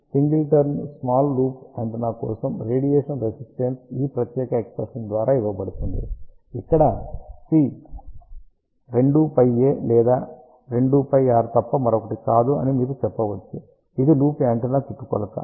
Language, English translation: Telugu, So, for single turn small loop antenna radiation resistance is given by this particular expression where C is nothing but 2 pi a or you can say 2 pi r which is circumference of the loop antenna